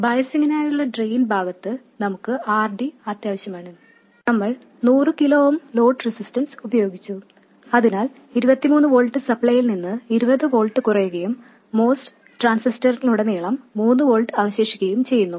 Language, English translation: Malayalam, And on the drain side for biasing we need RD and we have used a 100 kilo oom load resistance so that 20 volts is dropped across it from a 23 volt supply and 3 volts are left across the MOS transistor and the load resistance also is specified to be 100 kilo oom